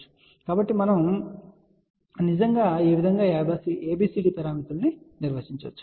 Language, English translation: Telugu, So, this is how we can actually define ABCD parameters